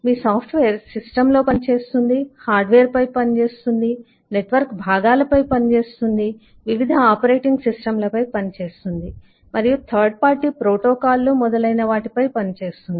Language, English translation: Telugu, you software works on system, works on hardware, works on eh network components, works on different operating systems, third party systems and so on